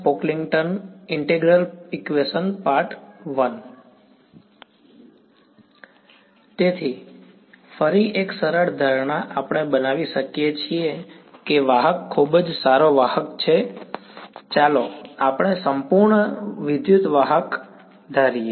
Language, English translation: Gujarati, Right; so, again simplifying assumption we can make is that the conductor is a very very good conductor, let us so assume perfect electric conductor